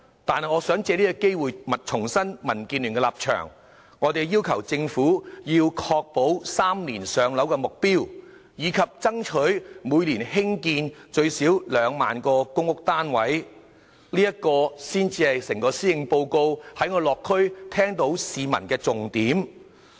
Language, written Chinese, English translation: Cantonese, 但是，我想藉此機會重申民建聯的立場：我們要求政府確保 "3 年上樓"的目標，以及爭取每年興建最少2萬個公屋單位，這才是就整個施政報告而言，在我落區時聽到市民對房屋所表達的重點訴求。, I would like to take this opportunity to reiterate DABs position in urging the Government to achieve the target of maintaining a three - year waiting time for public rental housing PRH and constructing at least 20 000 PRH units per year . This is actually the key demand of the people on housing from what I have heard in the local districts in respect of the Policy Address